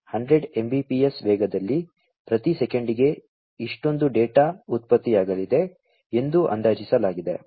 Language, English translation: Kannada, At 100 mbps roughly, it is estimated that this much of data is going to be generated per second